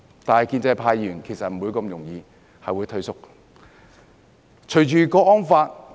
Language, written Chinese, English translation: Cantonese, 不過，建制派議員是不會容易退縮的。, But pro - establishment Members would not retreat so very easily